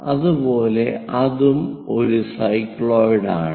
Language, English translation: Malayalam, So, that it forms a cycloid